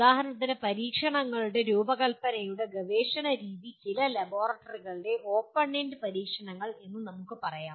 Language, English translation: Malayalam, For example research method of design of experiments can be experienced through let us say open ended experiments in some laboratories